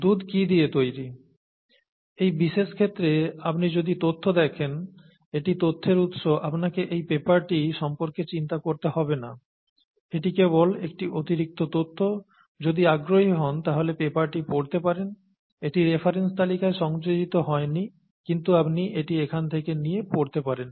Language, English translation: Bengali, So what does milk consist of, if you look at the data in this particular case, this is the source of the data, you don’t have to worry about this paper is this just additional information, if you’re interested you can go and read this paper, it is not included in the list of references, but you could take it from here and read this paper